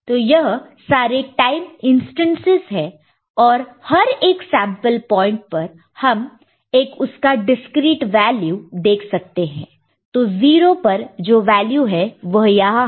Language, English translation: Hindi, So, these are the time instances and at each sample point, at simple value we can see the corresponding discreet value